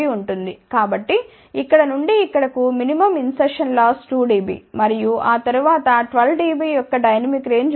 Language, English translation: Telugu, So, from here to here minimum insertion loss is 2 dB and after that there is a dynamic range of 12 dB